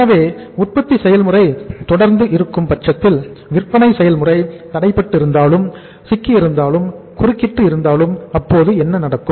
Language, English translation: Tamil, So it means when the production process is continuous but when the selling but at the same time selling process is hampered, it is stuck, it is interrupted so what happened